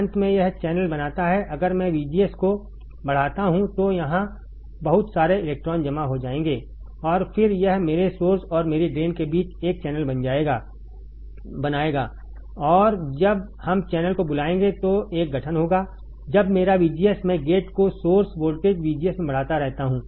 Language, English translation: Hindi, Finally, it forms the channel if I keep on increasing VGS then lot of electrons will be accumulated here, and then it will form a channel between my source and my drain, and there will be a formation of what we call channel, when my VGS I keep on increasing the gate to source voltage VGS